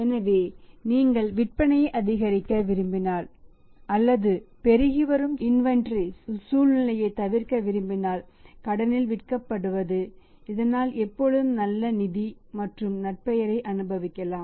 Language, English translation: Tamil, So, here people say that if you want to maximize the sales or you want to avoid the situation of mounting inventories it is better to sell on the credit always provided your buyers on the credit should be enjoying a good financial reputation